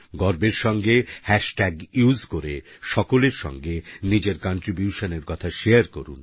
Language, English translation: Bengali, Using the hashtag, proudly share your contribution with one & all